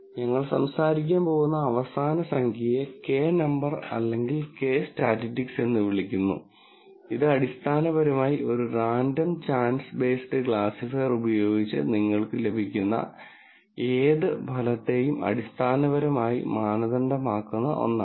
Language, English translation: Malayalam, The last number that we are going to talk about is what is called a Kappa number or Kappa statistic, which basically in some sense benchmarks whatever result you get with a random chance based classifier